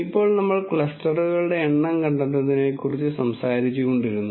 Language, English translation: Malayalam, Now, we kept talking about finding the number of clusters